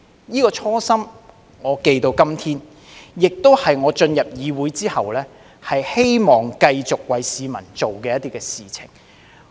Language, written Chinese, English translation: Cantonese, 這個初心，我記到今天，亦是我進入議會後希望繼續為市民做的事情。, This original aspiration still remains in my mind today . It is also what I hope to continue offering the public after joining this Council